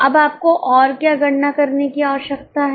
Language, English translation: Hindi, Now what else you are required to calculate